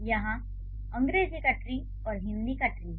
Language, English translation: Hindi, So, here is the English tree and here is the Hindi tree